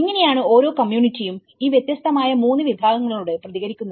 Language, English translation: Malayalam, So, how each community response to these different 3 categories